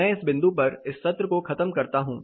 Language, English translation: Hindi, I will wrap up the sessions at this point